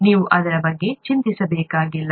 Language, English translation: Kannada, You do not have to worry about that